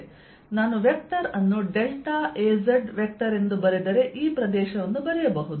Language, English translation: Kannada, so i can write this area if i write it as a vector, as delta a z vector